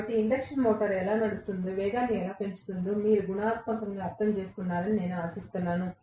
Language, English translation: Telugu, So, I hope qualitatively you have understood how the induction motor runs, how it picks up speed